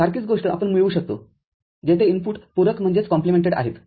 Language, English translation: Marathi, The same thing we can obtain where the inputs are complemented and then ORed